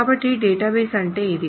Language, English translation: Telugu, So this is what is a database